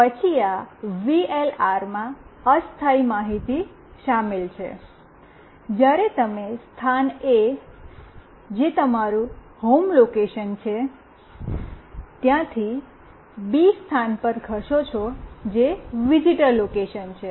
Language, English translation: Gujarati, And then this VLR contains temporary information, when you move let us say from location A, which is your home location to location B, which is the visitor location